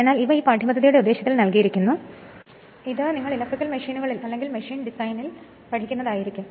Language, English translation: Malayalam, But these are given the scope for this course, but we learn in electrical machines or in machine design right